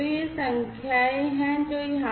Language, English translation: Hindi, So, these are the numbers that are given over here